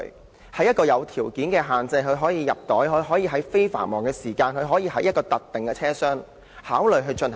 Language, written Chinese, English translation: Cantonese, 在符合若干條件下，例如將動物放入袋、在非繁忙時間，以及在特定的車廂內，可考慮予以推行。, Subject to certain conditions such as putting animals in bags travelling during non - peak periods and in specified train compartments this suggestion can be considered for implementation